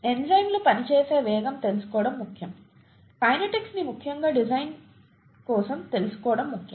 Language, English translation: Telugu, The speeds at which enzymes act are important to know, the kinetics is important to know of especially for design